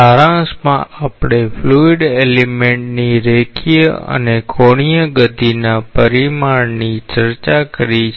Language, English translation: Gujarati, In summary we have discussed the quantification of the linear and angular motion of the fluid elements